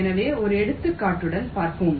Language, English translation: Tamil, ok, so lets see with an example